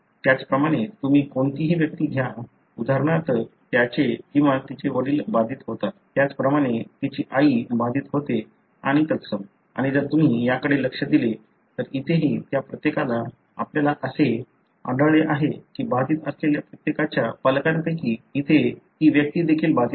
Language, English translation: Marathi, Likewise you take any individual, for example his or her father is affected, likewise her mother is affected and so on and likewise if you look into this, each one of that here also you find that one of the parents of each one of the affected individual here is also affected